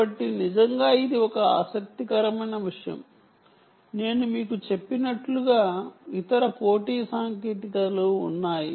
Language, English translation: Telugu, there are, as i mentioned to you, there are other competing technologies